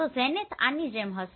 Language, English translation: Gujarati, So zenith will be like this